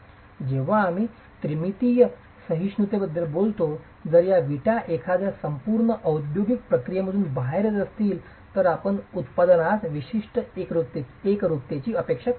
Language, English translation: Marathi, When we talk of dimensional tolerances, if these bricks are coming out of a thorough industrialized process, you can expect a certain uniformity to the product